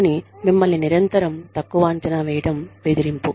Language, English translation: Telugu, But, you being, belittled constantly, is bullying